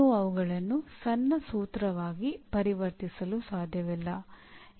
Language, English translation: Kannada, You cannot convert them into a short formula